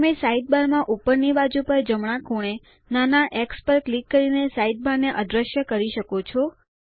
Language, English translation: Gujarati, You can make the Sidebar disappear by clicking the small x on the top right hand corner of the side bar